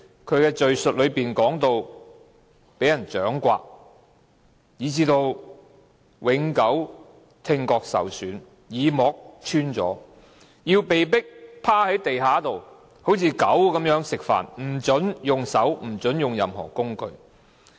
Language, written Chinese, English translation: Cantonese, 他們在敘述中說到被人掌摑，以致聽覺永久受損，耳膜穿了；要被迫像狗般趴在地上吃飯，不准用手或任何工具。, They also talked about being slapped in the face such that their ear drums were damaged and they suffered permanent hearing impairment . They were forced to kneel on the floor to eat without using their hands or utensils